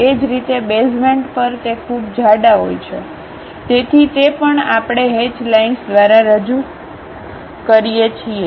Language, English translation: Gujarati, Similarly at basement it is very thick, so that also we represented by hatched lines